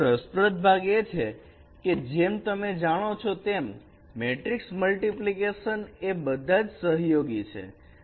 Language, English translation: Gujarati, But the interesting part is that as you know the matrix multiplications they are all associative